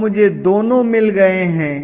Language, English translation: Hindi, So I have got both